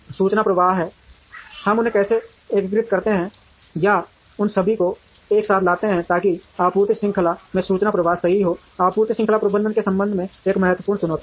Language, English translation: Hindi, There is information flow, how do we integrate them or bring all of them together, so that there is information flow right across the supply chain is an important challenge with respect to supply chain management